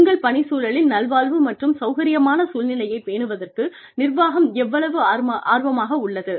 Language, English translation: Tamil, How interested is the management, in being, or, how committed the management, to maintaining a climate of well being and comfort, in your work environment